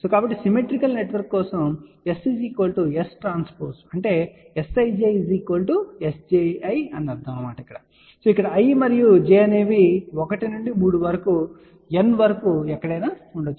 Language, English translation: Telugu, So, for symmetrical network if S is equal to S transpose that really means S ij is equal to S ji, where i and j can be anywhere from 1 to 3 up to N